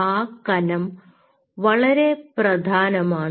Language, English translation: Malayalam, that thickness is very important